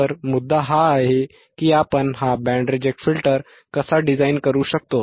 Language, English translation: Marathi, So, the point is how we can design this band reject filter